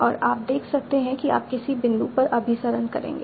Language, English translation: Hindi, And you can see that you will converge at some point